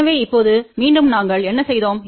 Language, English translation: Tamil, So, again now, what we did